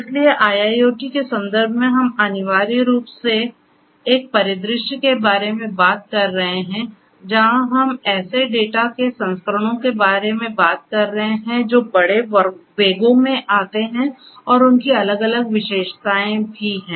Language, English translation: Hindi, So, in the context of IIoT we are essentially talking about a scenario, where we are talking about volumes of data that come in large velocities and they have different other characteristics as well